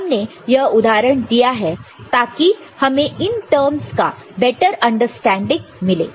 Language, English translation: Hindi, We have taken the example to make a better understanding of these different terms